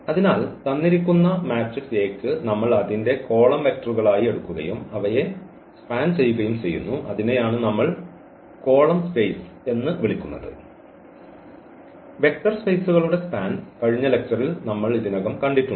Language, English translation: Malayalam, So, for a given matrix A we take its column as vectors and then span them, so that is what we call the column space because any span of any vectors that is a vector space which we have already seen in previous lectures